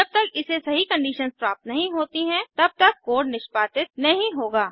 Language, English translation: Hindi, The corresponding code will get executed, until it finds the true condition